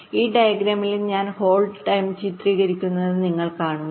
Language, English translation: Malayalam, so you see, in this diagram we have illustrated the hold time